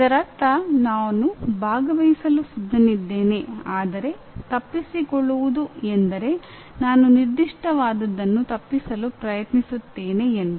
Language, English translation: Kannada, That is I am willing to participate whereas avoidance means I am trying to avoid that particular one